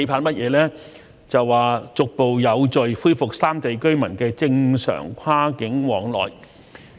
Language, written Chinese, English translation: Cantonese, 便是逐步有序地恢復三地居民的正常跨境往來。, It is the resumption of cross - boundary activities among residents of the three places in a gradual and orderly manner